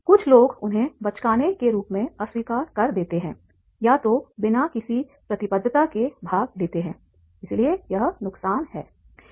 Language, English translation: Hindi, Some people reject them as childish either do not participate at all or do so without commitment